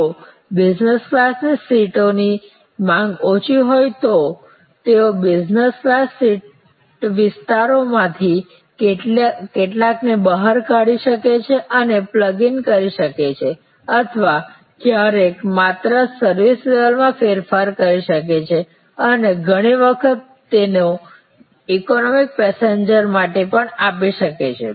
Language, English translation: Gujarati, If there is a low level of demand for the business class seats, they can out some of the business class seat areas and plug in or sometimes just change the service level and often them to economy passengers